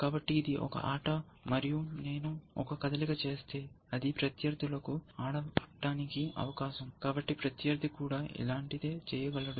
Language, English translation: Telugu, So, I have made one move, and this is a game, then it is opponents turn, so opponent can also do something similar